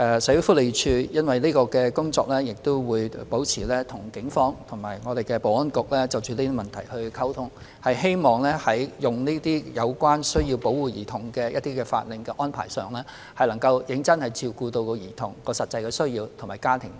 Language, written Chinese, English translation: Cantonese, 社署會就相關工作與警方及保安局保持溝通，希望在使用這些需要保護兒童的法令安排上，能真正照顧兒童的實際需要及其家庭意願。, SWD will maintain communication with the Police and the Security Bureau regarding the relevant work in the hope that such arrangements for applying for orders for the protection of children can genuinely correspond to the actual needs of children and the wishes of their families